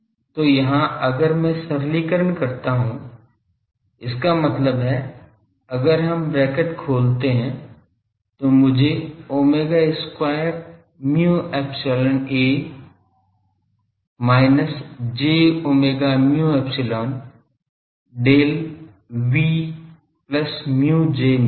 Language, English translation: Hindi, So, here if I simplify; that means, we open the bracket, I get omega square mu epsilon A minus j omega mu epsilon Del V plus mu J